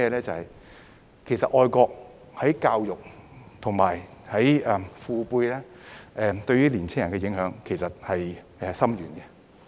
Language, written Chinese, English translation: Cantonese, 就是其實就愛國而言，教育和父輩對年青人的影響很深遠。, It is the truth that education and the paternal generation have a profound influence on young people in terms of patriotism